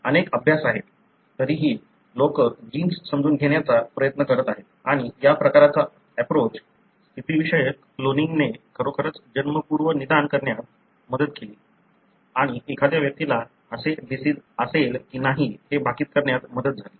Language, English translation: Marathi, Still, you know, there are several studies, still people are trying to understand the gene and, and this kind of approach, positional cloning really helped in prenatal diagnosis and, and in expecting whether an individual, in predicting whether an individual would have the disease or not and so on